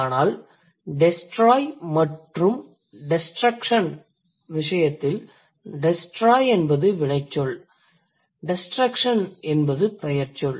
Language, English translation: Tamil, But in case of the other morphemes like destroy and destruction, so destroy is a verb and destruction would be a noun